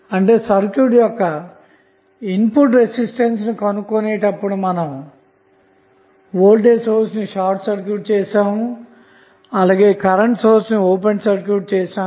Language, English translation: Telugu, That means when we found the input resistance of the circuit, we simply short circuited the voltage source and open circuit at the current source